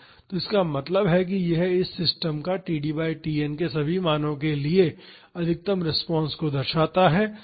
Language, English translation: Hindi, So; that means, this shows the maximum response of this system for all the values of td by Tn